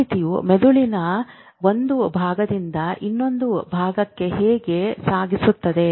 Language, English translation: Kannada, How does information carry from one part of the brain to the other